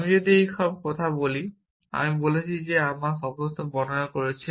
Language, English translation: Bengali, If I state all these things, I have said I have described my state